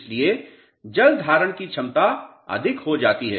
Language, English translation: Hindi, So, water handling holding capacity becomes more